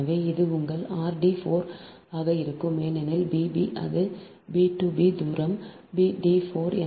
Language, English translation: Tamil, so it will be your ah r dash d four, because b, b dash, it is b two, b dash distance is d four, so it is r dash d four